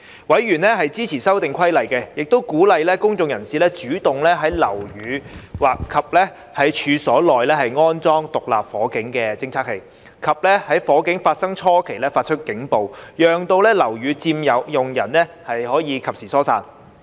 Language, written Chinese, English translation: Cantonese, 委員支持修訂規例，亦鼓勵公眾人士主動在樓宇及處所內安裝獨立火警偵測器，以及在火警發生初期發出警報，讓樓宇佔用人及時疏散。, Members of the Subcommittee supported the Amendment Regulation and encouraged members of the public to install SFDs of their own volition in buildings and premises for the purpose of detecting a fire and give warning to building occupants during the incipient stage of fire